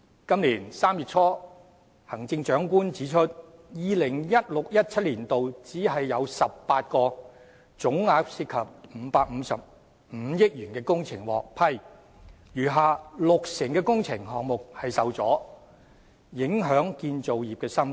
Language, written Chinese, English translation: Cantonese, 今年3月初，行政長官指出，在 2016-2017 年度，只有18項總額涉及555億元的工程獲批，餘下六成的工程項目受阻，影響建造業生態。, In early March this year the Chief Executive said that in 2016 - 2017 only 18 projects totalling 55.5 billion were approved while the remaining 60 % of the projects had been blocked to the detriment of the ecology of the construction industry